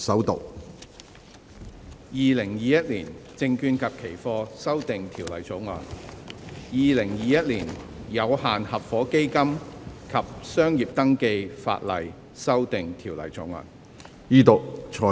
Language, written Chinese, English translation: Cantonese, 《2021年證券及期貨條例草案》《2021年有限合夥基金及商業登記法例條例草案》。, Securities and Futures Amendment Bill 2021 Limited Partnership Fund and Business Registration Legislation Amendment Bill 2021